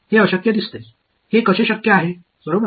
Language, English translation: Marathi, It seems impossible, how is it possible right